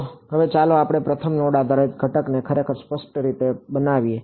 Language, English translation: Gujarati, So, now let us actually explicitly construct the first node based element